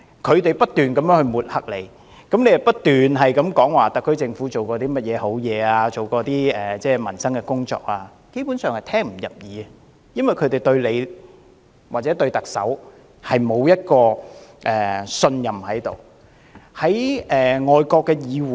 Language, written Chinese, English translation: Cantonese, 他們不斷抹黑司長，而司長不斷指出特區政府做了甚麼有利民生的工作，但他們基本上是聽不入耳的，因為他們並不信任司長或特首。, They kept smearing the Chief Secretary who kept pointing out what work the SAR Government had done to improve peoples livelihood . But basically they will not listen because they do not trust the Chief Secretary or the Chief Executive